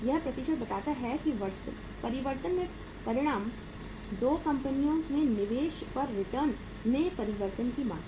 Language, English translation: Hindi, This percentage indicates that the magnitude of change, the quantum of change in the return on investment in the 2 companies